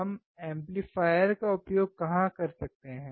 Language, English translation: Hindi, Where can we use the amplifier